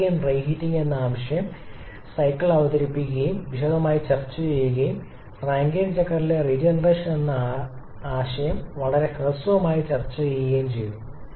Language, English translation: Malayalam, The concept of reheat Rankine cycle was introduced and discussed in detail and we have very briefly touched upon the concept of regeneration in a Rankine cycle